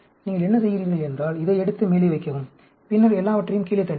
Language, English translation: Tamil, What you do is, you take this and put it on top; and then, push everything down